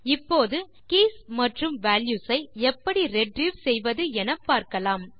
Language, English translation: Tamil, Now let us see how to retrieve the keys and values